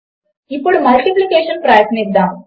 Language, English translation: Telugu, Now lets try multiplication